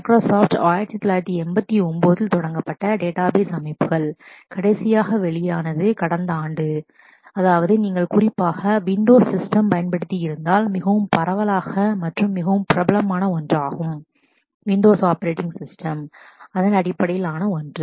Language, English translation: Tamil, Microsoft the started database systems in 1989, last release happened last year and that is very widely used if you are particularly on windows system, it is one of the most popular one in terms of the windows operating system